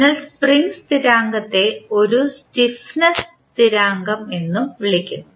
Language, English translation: Malayalam, So, the spring constant we also call it as a stiffness constant